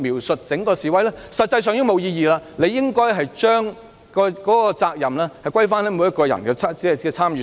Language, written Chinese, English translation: Cantonese, 實際上，這已是沒有意義，當局應該把責任歸於每個人的參與上。, This is actually meaningless . The authorities should apportion responsibility based on individual participation